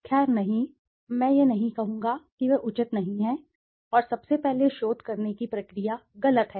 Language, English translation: Hindi, Well no, I would not say they are justified, and first of all the process of doing the research has been wrong